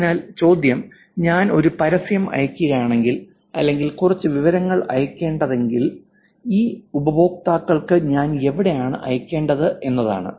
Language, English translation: Malayalam, So the question is if I were to send an advertisement, if I were to actually send some information to these users, will it be same